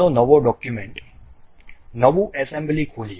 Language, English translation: Gujarati, Let us open a new document, new assembly